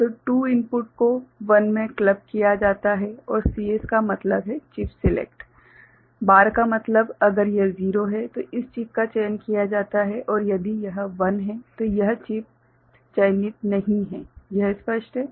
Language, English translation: Hindi, So, then 2 inputs are clubbed into 1 and CS means chip select, bar means if it is 0, this chip is selected and if it is 1 then this chip is not selected, is it clear